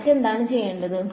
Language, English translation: Malayalam, What else do you need to do